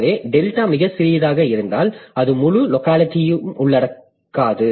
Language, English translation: Tamil, So, that way if the delta, if delta is too small, it will not encompass the entire locality